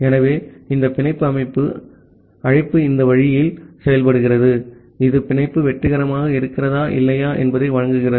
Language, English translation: Tamil, So, this bind system call works in this way it returns the status whether the bind is successful or not